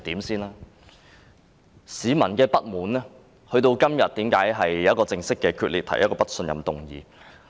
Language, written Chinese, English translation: Cantonese, 為何市民的不滿會導致議員今天決定與她正式決裂，提出不信任議案？, Why did public discontent cause Members to decide to formally fall out with her and propose the no - confidence motion today?